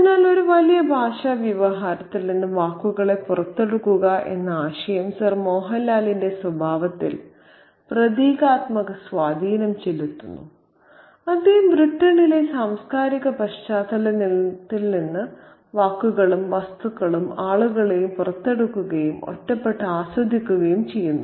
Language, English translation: Malayalam, So, that again the idea of taking words out of a larger linguistic discourse has a symbolic impact on the nature of Sir Mohanl who also takes out words and objects and people from the cultural context of Britain and he kind of enjoys them in isolation